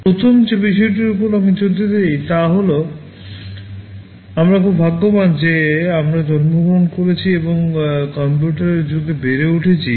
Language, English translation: Bengali, The first thing I want to emphasize is that, we have been very lucky that we have been born and brought up in an age of computing